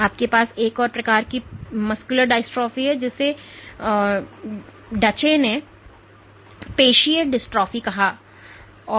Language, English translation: Hindi, You have another form of muscular dystrophy called Duchene muscular dystrophy where the entire